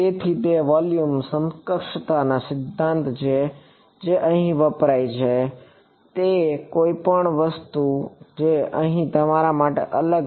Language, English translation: Gujarati, So, it is the volume equivalence principle that is used over here any other thing that sort of stands out for you over here